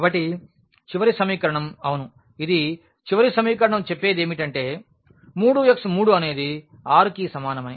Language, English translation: Telugu, So, the last equation yeah this is the last equation which says 3x 3 is equal to 6